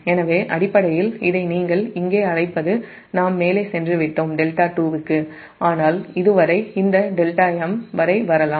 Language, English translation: Tamil, so basically this what you call here we have gone up to delta two, but up to this it can come up to this delta m